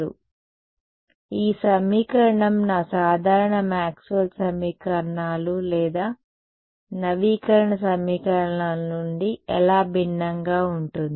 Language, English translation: Telugu, So, how does this equation differ from my usual Maxwell’s equations or update equations